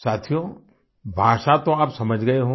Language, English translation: Hindi, you must have understood the language